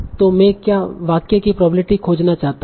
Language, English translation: Hindi, I want to find the probability of this sentence